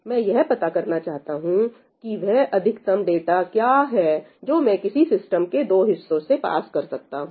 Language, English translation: Hindi, I want to find out what is the maximum amount of data that I can pass through any 2 halves of the system